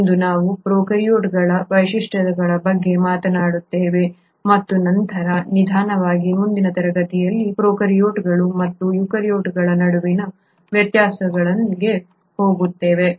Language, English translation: Kannada, Today we will talk about the features of prokaryotes and then slowly move on in the next class to the differences between prokaryotes and eukaryotes